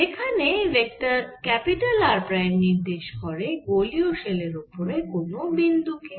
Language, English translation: Bengali, where vector r prime is refers by vector r refers to the point on the spherical shell